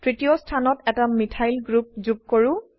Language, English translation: Assamese, Let us add a Methyl group to the third position